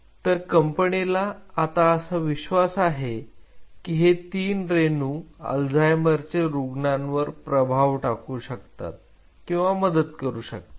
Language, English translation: Marathi, Now, these three molecules the company believes could influence or could help in those Alzheimer patients